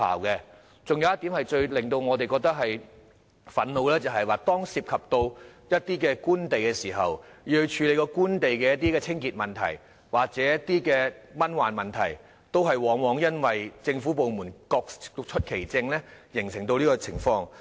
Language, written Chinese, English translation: Cantonese, 還有一點最令我們感到憤怒的，就是當涉及官地，要處理官地的清潔或蚊患問題時，往往因為政府部門各出其政，而無法成事。, Another frustration is that very often when Government land is involved and there is a need to deal with cleaning problems or mosquito infestation on Government land nothing can be done because each government department has its own policy